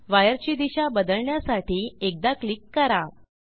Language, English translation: Marathi, Click once to change direction of wire